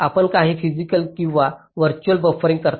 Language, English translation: Marathi, you do some physical or virtual buffering